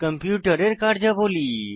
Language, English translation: Bengali, Functions of a computer